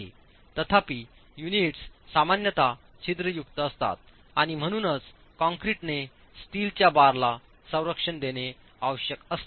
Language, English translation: Marathi, However, the units typically are porous and therefore there is a requirement that the concrete protects the steel reinforcement